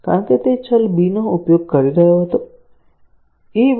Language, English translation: Gujarati, Because, it was using the variable b; a is equal to a into b